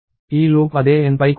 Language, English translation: Telugu, And this loop also runs on same N